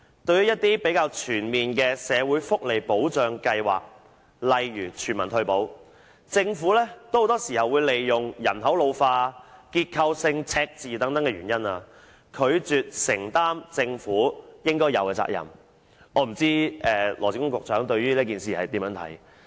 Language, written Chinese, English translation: Cantonese, 對於一些比較全面的社會福利保障計劃，例如全民退保，政府很多時候都會以人口老化、結構性赤字等原因，拒絕承擔政府應有的責任，我不知道羅致光局長對此有何看法？, With regard to the more comprehensive social security schemes such as universal retirement protection the Government has often refused to take up its due responsibility on such pretexts as population ageing structural deficit and so on . I wonder what Secretary Dr LAW Chi - kwong thinks about this